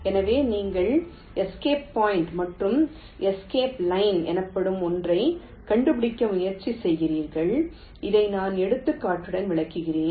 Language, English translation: Tamil, so you try to find out something called escape point and escape line, and i will explain this with example